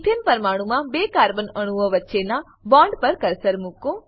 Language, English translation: Gujarati, Place the cursor on the bond between two carbon atoms in the Ethane molecule